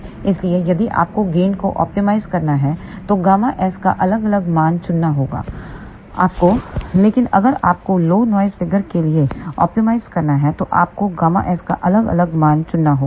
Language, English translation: Hindi, So, if you have to optimize the gain you may have to choose different value of gamma s, but if you have to optimize for low noise figure then you have to choose different value of gamma s